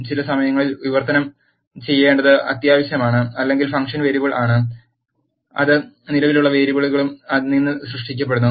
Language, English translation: Malayalam, Sometimes it is essential to have a translated or the function are variable, which is created from the existing variables